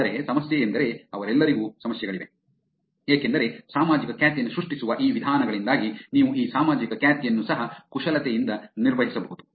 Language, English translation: Kannada, But the problem is all of them also have problems, because of these ways by which creating social reputation has happened, you can actually manipulate these social reputation also